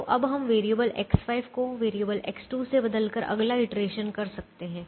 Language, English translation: Hindi, so we can now do the next iteration by replacing variable x five with variable x two